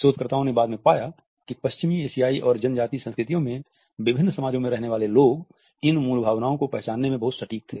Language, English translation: Hindi, And the researchers later on found that people who lived in different societies in Western, Asian and Tribal cultures were very accurate in recognizing these basic emotions